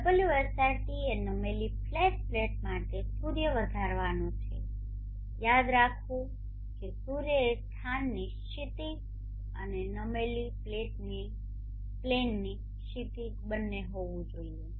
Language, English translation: Gujarati, SRT is the sun rise our angle for the tilted flat plate should remember that the sun should be the horizon of both the horizon of the place and the horizon of the tilted plane